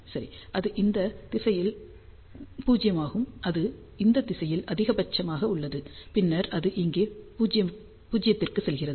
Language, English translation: Tamil, Well, it is 0 in this direction, and it is maximum in this direction, and then it is going back to 0 here